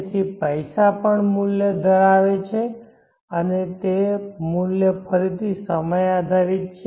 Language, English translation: Gujarati, So the money is also having a value and that value again is time dependent